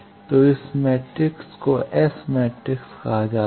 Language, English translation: Hindi, So, this matrix is called S matrix